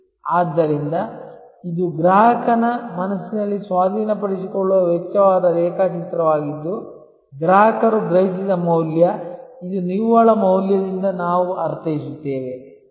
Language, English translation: Kannada, So, this is the diagram that is the cost of acquisition in the mind of the customer verses the value perceived by the customer, this is what we mean by net value